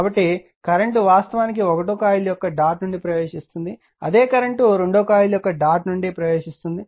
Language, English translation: Telugu, So, current actually entering into the dot of the first coil same current I entering the dot of the your second coil